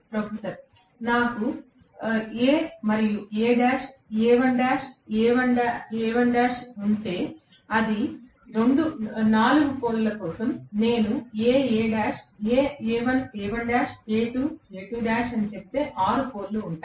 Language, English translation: Telugu, Professor: If I have A and A dash, A, A dash, A1, A1 dash, it is a 4 poles, it is for 4 poles, if I rather say A, A dash, A1, A1 dash, A2, A2 dash, then there will be 6 poles